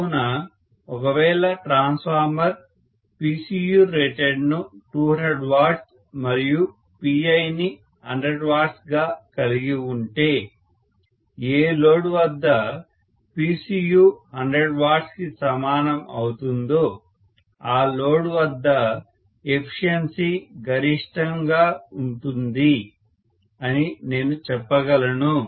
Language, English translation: Telugu, So I can say if a transformer has PCU rated to be 200 W and P iron to be 100 W, efficiency will be maximum at that load where PCU at any other load equal to 100 W